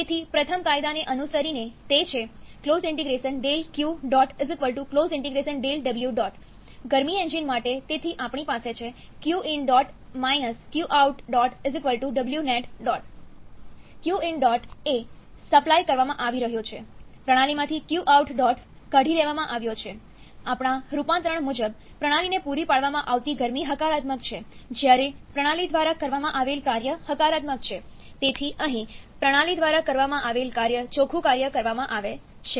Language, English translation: Gujarati, So, following the first law, it is the cyclic integral of del Q dot = cyclic integral of del W dot or for the heat engine, so we have Q dot in that is being supplied – Q dot out that has been taken out from the system remember, as per our conversion, heat supplied to the system is positive whereas, work done by the system is positive so, here work done by the system is W dot net or net work done